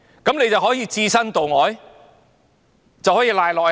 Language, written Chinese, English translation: Cantonese, 那便可以置身度外、推諉於下屬了嗎？, Could he then just sit on his hands and pass the buck to his subordinates?